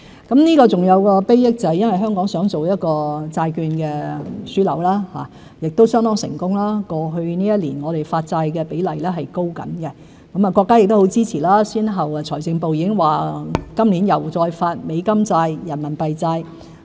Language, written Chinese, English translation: Cantonese, 還有一項禆益，就是香港擬發展為債券樞紐，亦相當成功，過去一年我們的發債比例正在提高；國家亦很支持，財政部先後表示今年會再發行美元債券、人民幣債券。, Hong Kong intends to develop into a bond hub and our attempt has been quite successful . The bond issuance in Hong Kong has been on the rise over the past year . The country is also very supportive as the Ministry of Finance has indicated now and again that it will further issue US dollar bonds and RMB bonds in Hong Kong this year